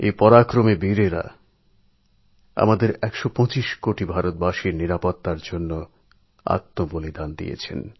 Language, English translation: Bengali, These brave hearts made the supreme sacrifice in securing the lives of a hundred & twenty five crore Indians